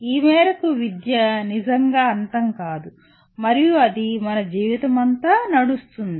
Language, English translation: Telugu, To this extent education never really ever ends and it runs throughout our lives